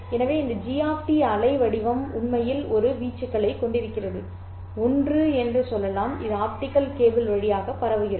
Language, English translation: Tamil, So this G of T waveform actually having an amplitude, let's say one, will be transmitted over the optical cable